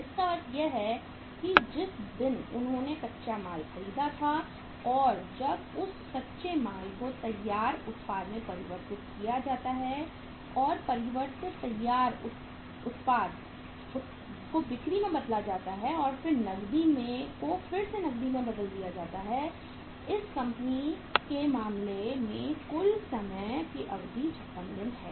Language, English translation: Hindi, Means the day when they purchased the raw material and when that raw material is converted into the finished product and finished production to sales and then cash is again converted back into cash this time period, total time period taken in case of this company is 56 days